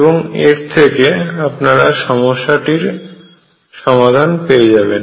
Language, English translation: Bengali, And that gives you the solution of the problem